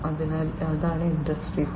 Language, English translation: Malayalam, So, that is Industry 4